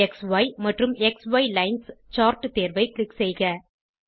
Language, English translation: Tamil, Let us choose XY and XY Lines chart option